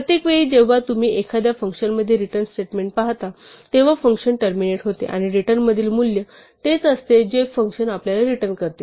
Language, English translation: Marathi, Every time you see a return statement in a function, the function terminates and the value in the return is what the function gives back to us